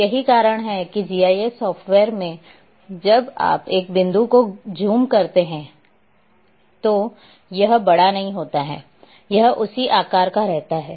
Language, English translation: Hindi, And that is why in GIS software when you zoom a point it does not enlarge, it remains of the same size